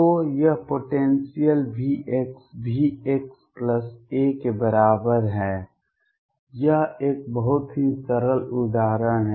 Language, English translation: Hindi, So, this potential V x is equal to V x plus a, this is a very simple example